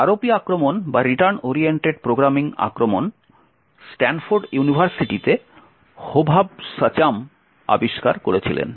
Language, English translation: Bengali, So, the ROP attack or return oriented programming attack was discovered by Hovav Shacham in Stanford University